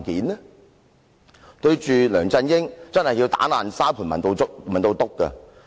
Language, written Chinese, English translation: Cantonese, 面對梁振英，確實需要"打爛沙盤問到篤"。, We really need to get to the bottom when we ask LEUNG Chun - ying questions